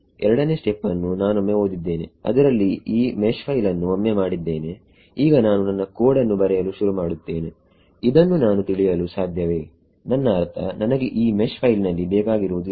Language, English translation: Kannada, The step 2 is once I have read in this made once have made this mesh file, now I start writing my code will I understand this I mean what is of interest to me in this mesh file what I am looking for